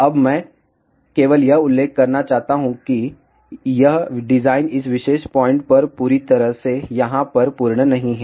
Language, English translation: Hindi, Now, I just want to mention that this design is not fully complete at this particular point over here